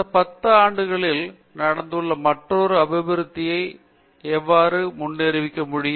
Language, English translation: Tamil, The another development that has happened in the last 10 years is how to predict them